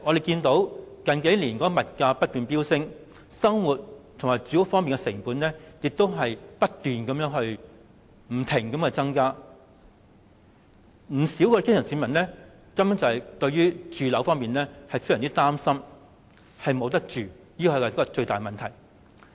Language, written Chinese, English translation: Cantonese, 近數年的物價不斷飆升，市民生活的主要成本正不斷地增加，不少基層市民對住屋問題非常擔心，害怕沒有居住的地方，這是最大的問題。, With the continual surge in prices in the past few years the cost of living keeps rising . Many grass roots feel extremely anxious about accommodation fearing that they will have nowhere to dwell . This is the greatest problem